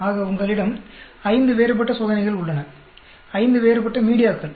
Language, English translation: Tamil, So, you have five different experiments; five different media